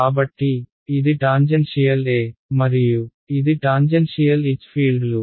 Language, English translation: Telugu, So, this is tangential E and this is tangential H fields right